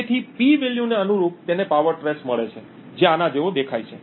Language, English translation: Gujarati, So, corresponding to the P value he gets a power traced which looks something like this